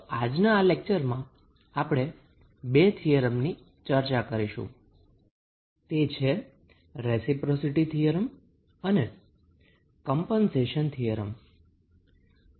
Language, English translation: Gujarati, So, in today's lecture will discuss about 2 theorems, those are reciprocity theorem and compensation theorem